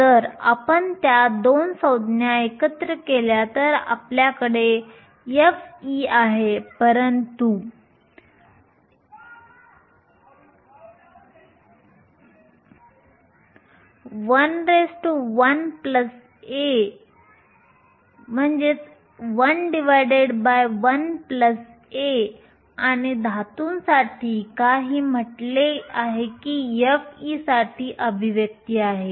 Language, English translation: Marathi, If we put those 2 terms together you have f of e, but 1 over 1 plus a and for a metal we said that a hence the expression for f of e